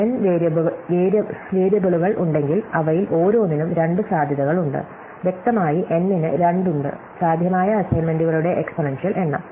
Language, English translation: Malayalam, If there are N variables, each of them has two possibilities, clearly there are 2 to the N, so an exponential number of possible assignments